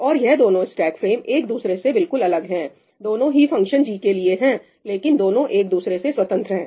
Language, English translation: Hindi, And these two stack frames are completely independent of each other both of them are for function g, but they are independent of each other